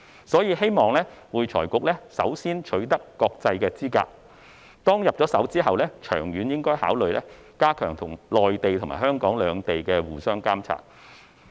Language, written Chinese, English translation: Cantonese, 所以，希望會財局首先取得國際資格，其後，長遠而言應考慮加強內地與香港兩地的互相監察。, Hence it is hoped that AFRC will first obtain international qualifications . After that in the long run consideration should be given to strengthening mutual monitoring between the Mainland and Hong Kong